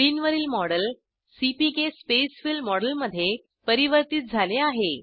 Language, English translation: Marathi, The model on the screen is converted to CPK Spacefill model